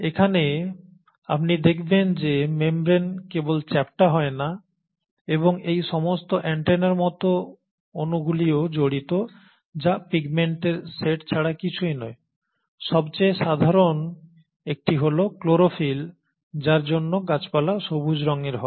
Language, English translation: Bengali, Here you find that not only are the membranes flattened and are studded with all these antenna like molecules which is nothing but a set of pigments, the most common one for which the plants are green in colour is the chlorophyll